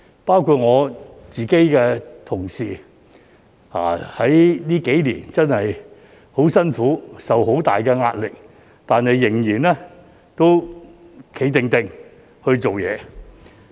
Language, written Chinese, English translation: Cantonese, 包括我的同事在這幾年間真的很辛苦，受很大壓力，但仍然"企定定"的工作。, Among others my staff have also worked very hard and faced immense pressure over the past few years . But they can still complete their work with composure